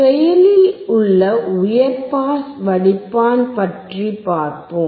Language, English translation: Tamil, What about active high pass filter